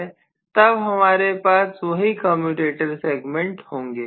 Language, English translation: Hindi, Then I'm going to have the same commutator segments